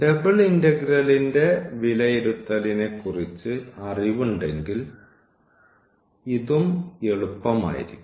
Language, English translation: Malayalam, So, having the knowledge of the evaluation of the double integral, this will be also easier